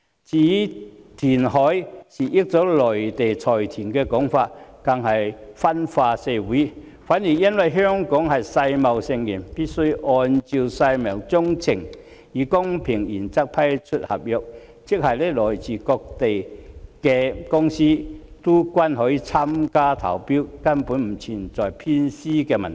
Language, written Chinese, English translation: Cantonese, 至於填海是要令內地財團得益的說法更是分化社會；相反，由於香港是世界貿易組織成員，必須按照世貿章程，以公平原則批出合約，即來自各地的公司均可參與投標，根本不存在偏私的問題。, The view that the option of reclamation is proposed to benefit the Mainland consortiums is even causing division in society . Quite on the contrary as a member of the World Trade Organization WTO Hong Kong is required to follow the WTO agreement and award contracts on the principle of fairness which means that companies from all places can take part in the tender exercises and so there is actually no question of bias